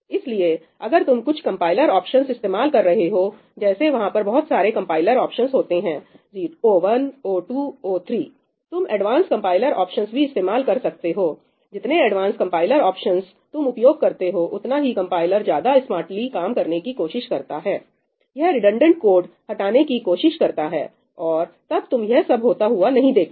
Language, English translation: Hindi, So, if you are using some compiler options ñ like, there are various compiler options o1, o2, o3 you can use advanced compiler options; the more advanced compiler options you use, the smarter of the compiler tries to act , it will try to remove redundant code and so on, then you would not see this happening